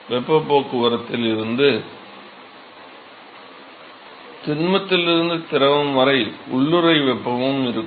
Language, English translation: Tamil, So, heat transport from let us say solid to liquid will also have latent heat